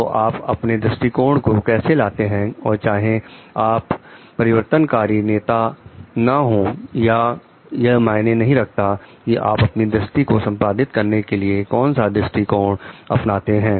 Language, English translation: Hindi, So, how you take your approach and what nature like whether you are not shooting transformational leader or not it matters a lot into how you take an approach towards your like executing your vision